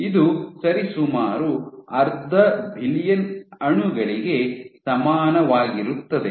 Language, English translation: Kannada, So, this amounts to roughly half billion molecules